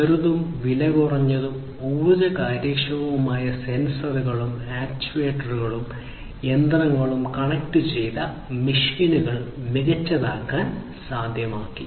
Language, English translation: Malayalam, And this for smartness the introduction of small, cheap, energy efficient sensors and actuators have made it possible to make machines and connected machines smarter